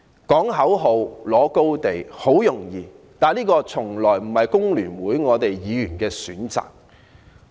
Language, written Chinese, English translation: Cantonese, 呼喊口號及佔領道德高地很容易，但這從來也不是我們工聯會議員的選擇。, It is very easy to chant slogans and stand on high moral grounds but we Members of FTU have never chosen this option